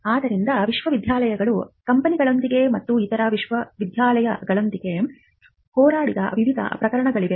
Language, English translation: Kannada, So, there are in various cases where universities have fought with companies, universities have fought with other universities